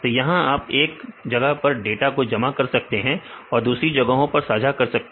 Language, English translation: Hindi, So, in this you can deposit data at one place and can be shared by others